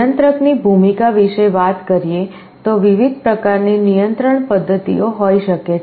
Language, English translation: Gujarati, Talking of the role of controller, there can be various different types of control mechanisms